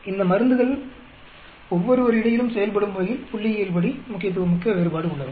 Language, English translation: Tamil, Is there a statistically significant difference between the way these drugs act with each other